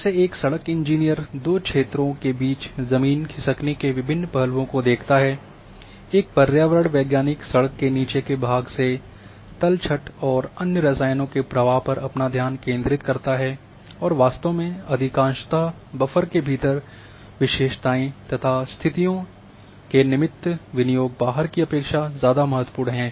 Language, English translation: Hindi, Like road engineer sees different land slippage considerations in the two areas an environmental scientist concentrates on the downhill portion for flow of sediments and other chemicals from the road and in fact, in most applications consideration of characteristics and conditions within buffer are at least as important then outline of the extent